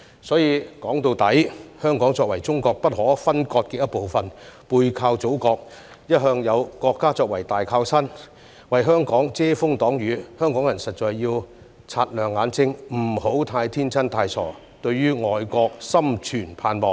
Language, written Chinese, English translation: Cantonese, 所以，說到底，香港作為中國不可分割的一部分，背靠祖國，一向有國家作為大靠山，為香港遮風擋雨，香港人實在要擦亮眼睛，不要太天真、太傻，對外國心存盼望。, After all being an inalienable part of China Hong Kong always has the Motherland at the back as the greatest support and protection . Hong Kong people really need to keep their eyes peeled and stop being so naive and foolish as to pin their hopes on foreign countries